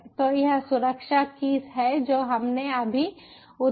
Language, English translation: Hindi, so this is the security key that we have generated just now